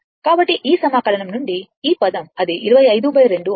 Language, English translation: Telugu, From this integration, whatever will come it will be 25 by 2